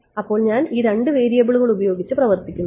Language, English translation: Malayalam, So, that I work with just two variables right